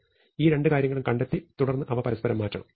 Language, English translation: Malayalam, So, I have find these two things and then I have to exchange